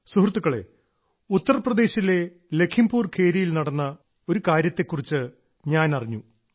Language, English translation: Malayalam, Friends, I have also come to know about an attempt made in LakhimpurKheri in Uttar Pradesh